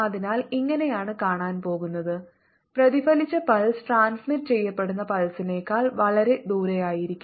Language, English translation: Malayalam, the reflected pulse is going to be much farther than the transmitted pulse